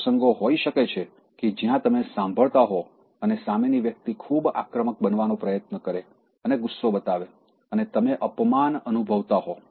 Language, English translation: Gujarati, There may be occasions where you are at the receiving end and then the other person at the other end is trying to be very aggressive and show anger and you feel humiliated